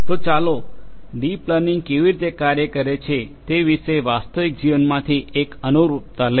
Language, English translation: Gujarati, So, let us take an analogy from real life about how deep learning works